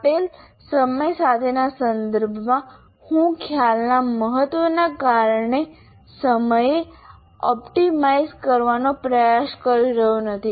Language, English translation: Gujarati, In the sense with the given time, I am not trying to optimize the time because of the importance of the concept